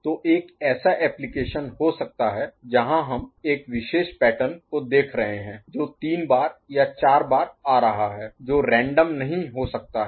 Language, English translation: Hindi, So, there could be an application where we are looking at a particular pattern coming say 3 times or 4 times which cannot be random